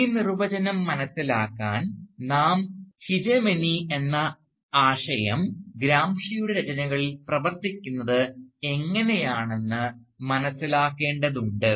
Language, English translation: Malayalam, Now, to understand this definition, we need to first comprehend the notion of hegemony as it operates in the writings of Gramsci